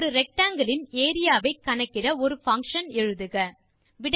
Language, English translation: Tamil, Write a function which calculates the area of a rectangle